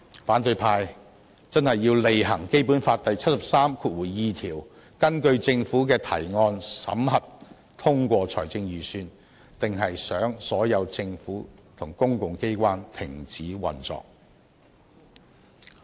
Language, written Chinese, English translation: Cantonese, 反對派真的要履行《基本法》第七十三條第二項"根據政府的提案，審核、通過財政預算"，還是想所有政府和公共機關停止運作？, Do opposition Members really want to exercise their function of examining and approving budgets introduced by the government under Article 732 of the Basic Law or do they want all government and public organizations to stop operating instead?